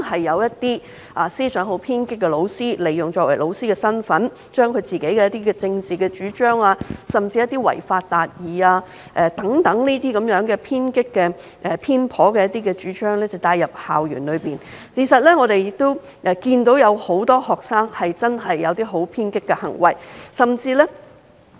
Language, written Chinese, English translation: Cantonese, 一些思想偏頗的老師利用其教師身份，將自己的政治主張，甚至一些違法達義等偏激偏頗的主張帶入校園，而我們的確看到很多學生曾做出偏激的行為。, Some teachers with biased ideas have made use of their capacity as teachers to infiltrate into school campuses their own political advocacy or even radical and biased ideas such as achieving justice by violating the law and we did see a lot of students act radically